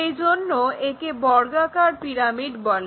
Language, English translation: Bengali, So, it is called square pyramid